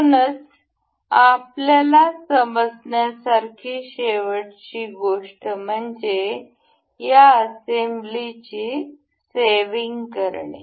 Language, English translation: Marathi, So, one last thing that we need to know is to for saving of these assembly